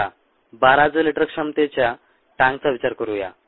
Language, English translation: Marathi, let us consider a tank of twelve thousand liter capacity